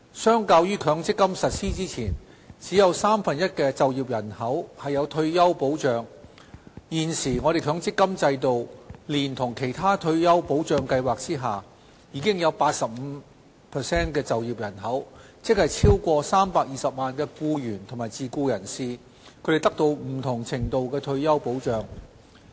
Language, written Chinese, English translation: Cantonese, 相較於強積金實施前，只有三分之一的就業人口有退休保障，現時，強積金制度連同其他退休保障計劃下，已有 85% 的就業人口，即超過320萬僱員及自僱人士，獲得不同程度的退休保障。, Compared with the situation where only one third of the working population enjoyed retirement protection before the MPF System was implemented 85 % of the working population are now enjoying various degrees of retirement protection under the MPF System and other retirement protection schemes